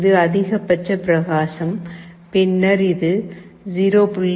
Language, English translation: Tamil, This is the maximum brightness, then this is 0